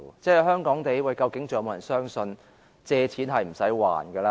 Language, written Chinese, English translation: Cantonese, 在香港，究竟是否仍有人相信借錢是不用償還的呢？, In Hong Kong is there anyone who still believes that one who takes out a loan needs not repay it?